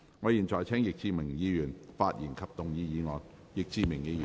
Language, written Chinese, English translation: Cantonese, 我現在請易志明議員發言及動議議案。, I now call upon Mr Frankie YICK to speak and move the motion